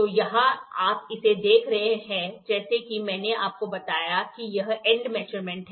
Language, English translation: Hindi, So, here you see it is as I told you it is end measurement